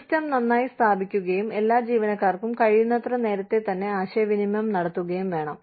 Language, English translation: Malayalam, The system must be, well established and communicated, to all employees, as far ahead of time, as possible